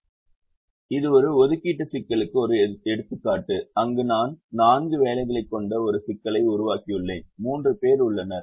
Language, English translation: Tamil, this is an example of an assignment problem where i have created the problem which has four jobs and there are three people